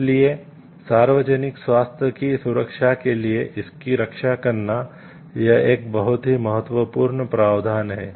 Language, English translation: Hindi, So, to protect for that to safeguard for public health this is a very very important provision given